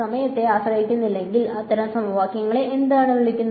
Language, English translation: Malayalam, So, if there is no time dependence, what are those kinds of equations called